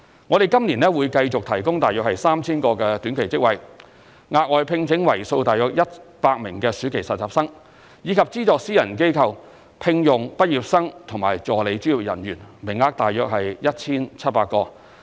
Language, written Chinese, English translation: Cantonese, 我們在今年會繼續提供約 3,000 個短期職位、額外聘請為數約100名暑期實習生，以及資助私人機構聘用畢業生和助理專業人員，名額約 1,700 個。, This year we will continue to provide about 3 000 time - limited jobs recruit 100 more summer interns and subsidize private enterprises to employ about 1 700 graduates and assistant professionals